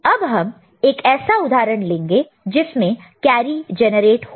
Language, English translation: Hindi, So, if we look at another example where carry is getting produced